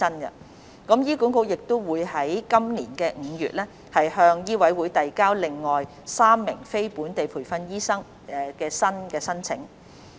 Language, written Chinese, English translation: Cantonese, 此外，醫管局亦於今年5月向醫委會遞交了另外3名非本地培訓醫生的新申請。, HA has submitted another three applications from non - locally trained doctors to MCHK in May this year